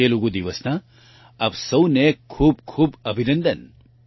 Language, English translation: Gujarati, Many many congratulations to all of you on Telugu Day